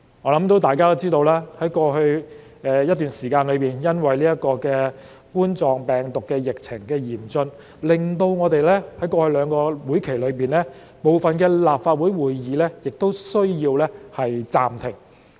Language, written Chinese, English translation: Cantonese, 我相信大家都知道，在過去一段時間，因為冠狀病毒疫情嚴峻，我們在過去兩個會期內的部分立法會會議也需要暫停。, I believe Members are aware that some meetings of the Legislative Council in the past two sessions had to be suspended due to the severe COVID - 19 pandemic situation